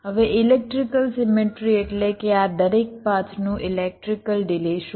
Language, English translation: Gujarati, now, electrical symmetry means what would be the electrical delay of each of this paths